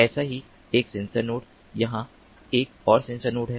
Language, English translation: Hindi, here is another sensor node